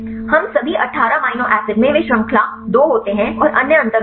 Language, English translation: Hindi, So, all the 18 amino acid they contain the series two and the others are difference